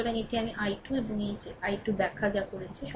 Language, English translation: Bengali, So, this is your i 2 and this is your i 3, whatever we have explain